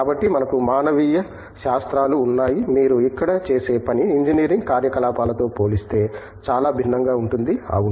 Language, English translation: Telugu, So, we have in humanities I think the kind of work you do is very different from say, what an engineering activity, yes